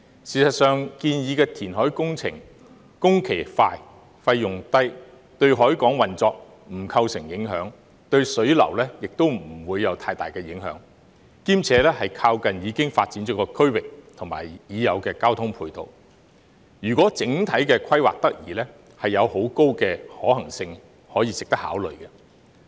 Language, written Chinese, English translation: Cantonese, 事實上，建議的填海工程工期快、費用低，對海港運作不構成影響，對水流亦不會有太大的影響，兼且靠近已發展的區域和已有的交通配套，如果整體規劃得宜，便有很高的可行性，值得考慮。, It will not affect the operation of the harbour and will not have much impact on the water flow either . Moreover it is close to the developed area where supporting transport facilities are readily available . If the overall planning is appropriate it will be highly feasible and worthy of consideration